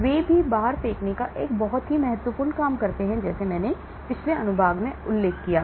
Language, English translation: Hindi, So, they also do an important job of throwing out like I mentioned in the previous section